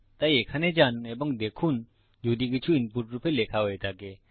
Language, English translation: Bengali, So you go up to here and see if anything has been entered as input